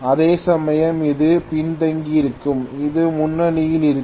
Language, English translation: Tamil, Whereas this will be lagging and this will be leading